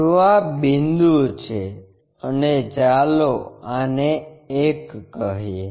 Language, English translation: Gujarati, So, this is the point and let us name this one as 1